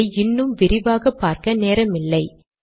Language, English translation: Tamil, We dont have time to go through this in more detail